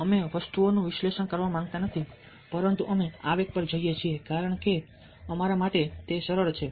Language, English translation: Gujarati, we dont want to analyze things, we go on impulse because that is easier for us to do